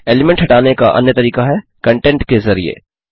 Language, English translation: Hindi, The other way is removing element by content